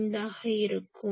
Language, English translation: Tamil, So, that will be 1